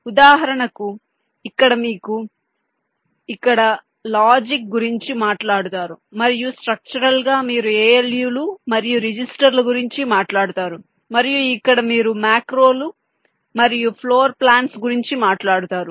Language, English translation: Telugu, for example, here you talk about logic, here and in structurally you talk about a loose and registers and here you talk about macros and floor plans